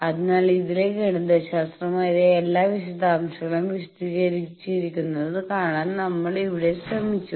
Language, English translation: Malayalam, So, here we have tried to find out to see all the mathematical details are explained in the thing